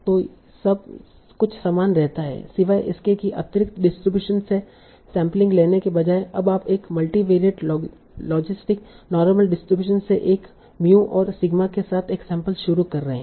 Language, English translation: Hindi, Except that instead of sampling from a district distribution, you are now starting to sample from a multivariate logical normal distribution with a mu and sigma